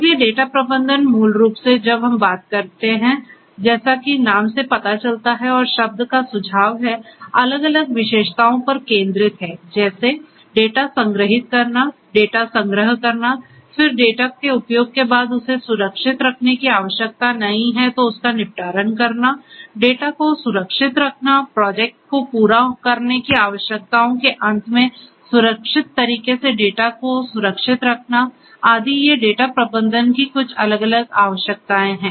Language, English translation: Hindi, So, data management basically when we are talking about as the name suggest as the term suggest focuses on different attributes such as storing the data, archiving the data, then once the date has been used and is no longer required disposing of the data, securing the data, keeping the data in a safe manner secured manner at the end of the project completion requirements etcetera, these are some of the different requirements of data management